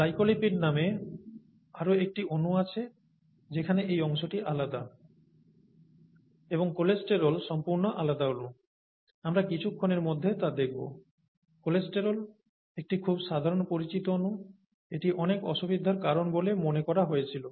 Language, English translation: Bengali, There is another set of molecules called glycolipids where this part is different and cholesterol which is completely different molecule, we will see that in a little while, okay